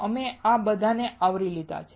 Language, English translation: Gujarati, We have covered all of this